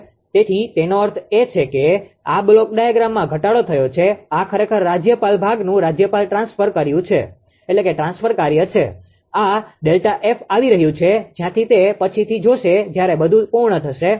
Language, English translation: Gujarati, So that means, this is reduced block diagram this is actually governor transfer function of the governor part, this delta F which coming from where that will see later when everything will be completed